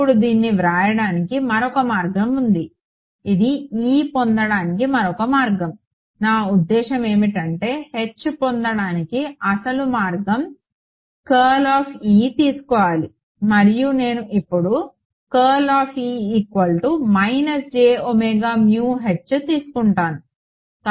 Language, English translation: Telugu, Now there is another way of writing this which is another way of getting E, I mean the original way of getting H was what take curl of E right and when I take curl of E, I should get minus j omega mu H right